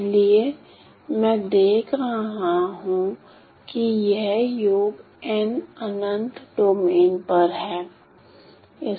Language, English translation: Hindi, So, what I am doing is I am notice that this is n summation over n infinite domain